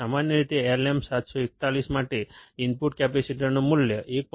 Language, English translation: Gujarati, Typically, the value of input capacitance for LM741 is 1